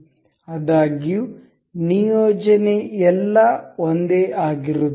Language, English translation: Kannada, However, the alignment is all same